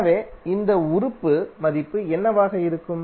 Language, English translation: Tamil, So what would be the value of this element